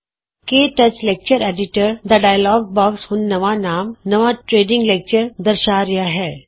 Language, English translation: Punjabi, The KTouch Lecture Editor dialogue box now displays the name New Training Lecture